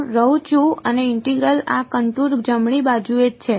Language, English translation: Gujarati, I am staying and the integral is along this contour right